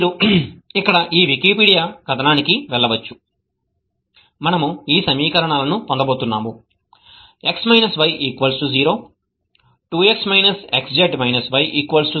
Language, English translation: Telugu, We are going to get these equations x minus y equal to 0, 2x minus xz minus y equal to 0 and xy minus 3z equal to 0